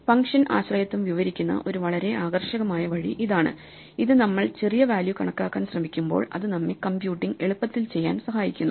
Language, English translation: Malayalam, This is a very attractive way of describing the dependency of the function that we want to compute the value that we are trying to compute on smaller values, and it gives us a handle on how to go about computing it